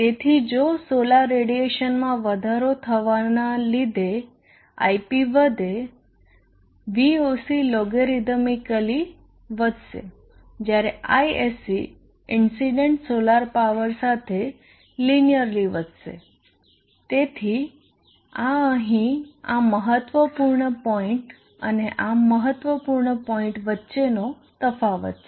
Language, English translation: Gujarati, So if Ip increases due to increase in the solar radiation Voc will increase logarithmically whereas Isc will increase linearly with the incident solar power, so this is the difference between this significant point and this significant point here